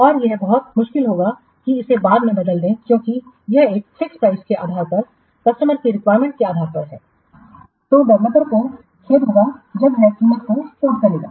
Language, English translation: Hindi, And it is very difficult to change, change it later on because this is based on this fixed piece, based on the requirements, the customer will, sorry, the developer will code the price